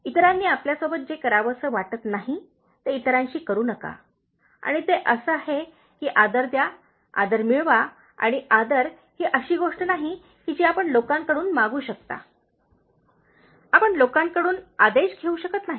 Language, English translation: Marathi, Don’t do what you don’t like others to do to you and it is like, give respect, get respect and respect is not something that you can demand from people, you cannot command from people